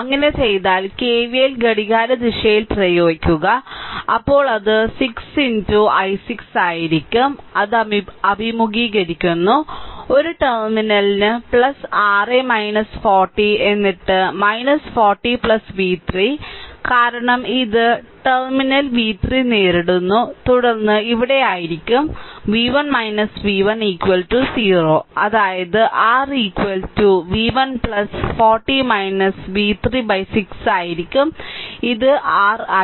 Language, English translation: Malayalam, You apply KVL in the clockwise direction if you do so, then it will be 6 into i 6 into i then minus it is encountering minus for a terminal plus that is your minus 40 then minus 40right plus v 3, because it is encountering plus terminal plus v 3 then here it will be minus v 1 minus v 1 is equal to 0; that means, your I is equal to it will be v 1 plus 40 minus v 3 divided by 6 this is your i